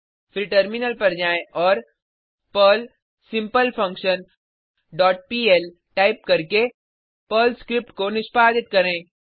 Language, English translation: Hindi, Then switch to the terminal and execute the Perl script by typing perl simpleFunction dot pl and press Enter